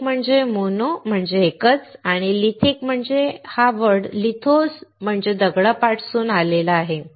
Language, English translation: Marathi, One is "mono" meaning a single one, and "lithic" comes from the Lithos meaning stone